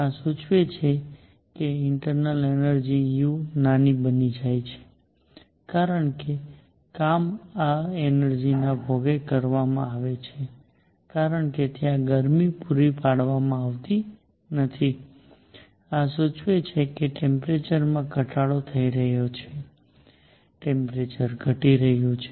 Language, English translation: Gujarati, This implies internal energy u becomes a smaller because the work is done at the cost of this energy because there is no heat being supplied and this implies the temperature goes down volume is increasing, temperature is going down